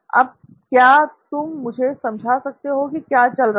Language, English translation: Hindi, Now can you explain to me what’s happening